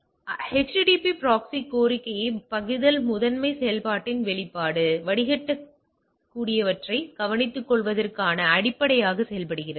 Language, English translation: Tamil, So, function of HTTP proxy request forwarding primary function acts as a rudimentary fire wall of taking care of that which can be filter